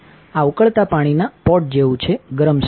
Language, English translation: Gujarati, This is similar to a pot of boiling water a hot stove